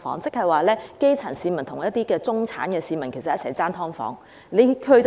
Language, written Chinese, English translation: Cantonese, 換句話說，基層市民要與中產市民爭奪"劏房"。, In other words the grass roots have to compete with the middle - class for subdivided units